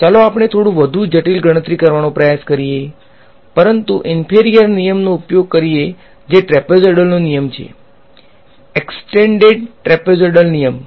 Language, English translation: Gujarati, Let us try a little bit more expensive evaluation, but using a inferior rule which is the trapezoidal rule, the extended trapezoidal rule